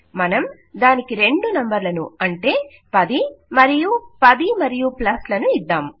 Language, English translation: Telugu, Lets us just give it two numbers say 10 and 10 and a plus